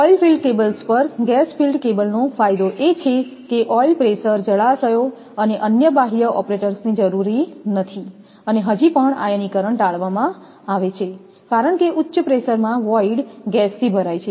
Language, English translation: Gujarati, The advantage of gas filled cable over the oil filled cable is that oil pressure reservoirs and other extraneous operators are not necessary and still the ionization is avoided because the voids are filled with gas at high pressure